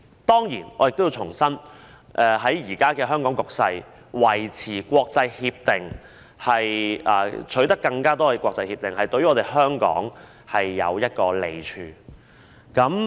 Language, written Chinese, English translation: Cantonese, 當然，我要重申，在香港現時的局勢下，維持與國際間簽訂協定或取得更多國際協定對香港是有益處的。, Of course I have to reiterate that under the present circumstances in Hong Kong it is beneficial to Hong Kong to maintain the signing of agreements with the international community or secure more international agreements